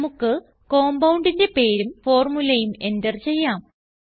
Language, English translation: Malayalam, Lets enter name of the compound and its formula